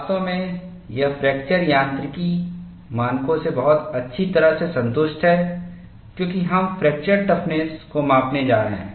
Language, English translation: Hindi, In fact, this is very well satisfied by fracture mechanics standards, because we are going to measure fracture toughness and that is what, is depicted here